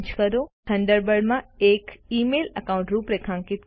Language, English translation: Gujarati, Configure an email account in Thunderbird